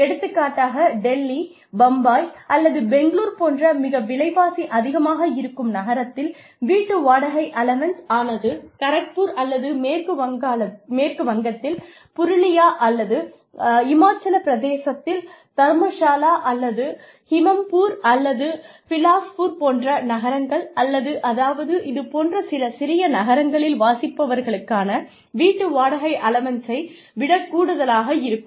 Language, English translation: Tamil, So, for example, the house rent allowance, in a very expensive city, like Delhi, or Bombay, Bangalore, would be much higher than, the house rent allowance for a small town, like Kharagpur, or maybe Purulia in West Bengal, or, in Himachal Pradesh we have towns like, Dharamshala, or Hameerpur, or Bilaspur, or, I mean, some such place